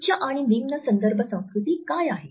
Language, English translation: Marathi, What is high and low context culture